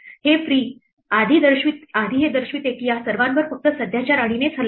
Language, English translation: Marathi, The fact that this free before indicates that all of these got attacked only by the current queen